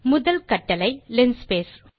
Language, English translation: Tamil, The first command is linspace